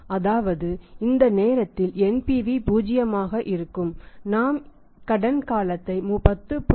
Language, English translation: Tamil, Before this period you are going to extend the credit NPV is going to be 0 after that even 10